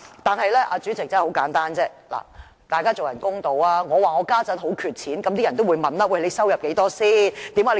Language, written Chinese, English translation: Cantonese, 但是，主席，大家要公道一點，我說現在很缺錢，人們就會問："你有多少收入？, However President we have to be fair . If I say that I am now short of money people will ask How much income do you have?